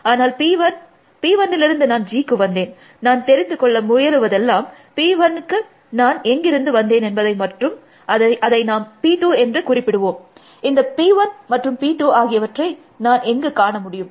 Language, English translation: Tamil, So, I know that P 1, I came to G from P 1, I am trying to find out, where did I come to P 1 from, and that that is call it P 2, where will I find this P 1 P 2